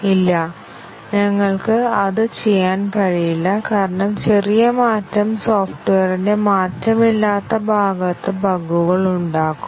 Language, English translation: Malayalam, No, we cannot do that because any change small change will induce bugs in the unchanged part of the software